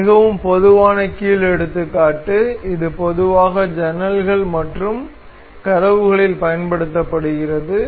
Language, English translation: Tamil, This is a very typical hinge example that is used in generally in windows and doors